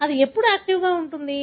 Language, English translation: Telugu, When would it be active